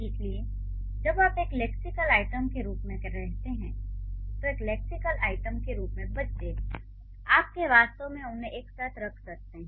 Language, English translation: Hindi, So, when you say the as a lexical item, child as a lexical item, you can actually put them together